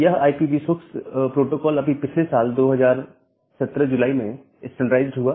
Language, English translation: Hindi, So, the protocol became the IPv6 protocol became standardized just last year around July 2017